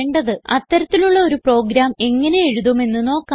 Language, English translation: Malayalam, Let us see how to write such a program